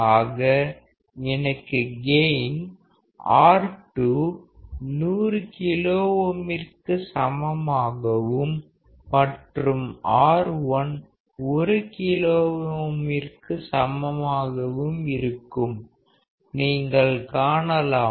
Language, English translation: Tamil, So, if I have gain of R2 equal to 100K and R1 equal to 1K; you see